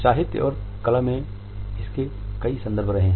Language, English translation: Hindi, In literature and in arts there have been in numerous references to it